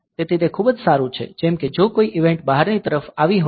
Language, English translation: Gujarati, So, that is very good like if some event has occurred in the outside world